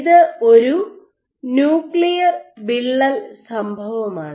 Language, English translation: Malayalam, So, this event is a nuclear rupture event